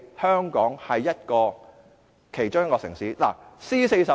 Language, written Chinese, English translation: Cantonese, 香港作為其中一個 C40 城市......, As one of the C40 Cities Hong Kong President I have to explain